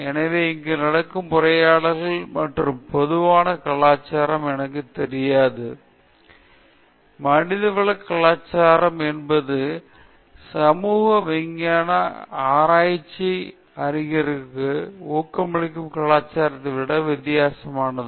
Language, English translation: Tamil, So, here I don’t know the kind of talks that happens and the general culture in, I mean the culture in general is very different from or humanities culture or a culture that is inducive to humanities and social sciences research